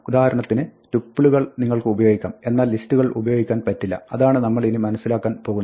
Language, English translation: Malayalam, And here for instance you can use tuples, but you cannot use lists as we will see